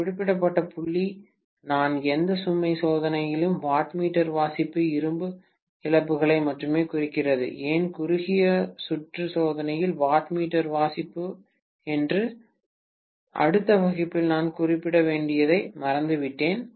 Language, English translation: Tamil, One particular point I had forgotten which I have to mention in the next class as to why the wattmeter reading in no load test represents only iron losses, why the wattmeter reading in the short circuit test represents only I square R losses or copper losses, why not the other way around, okay